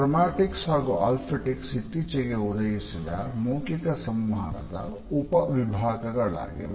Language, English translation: Kannada, Chromatics as well as Ofactics have recently emerged as subcategory of non verbal aspects of communication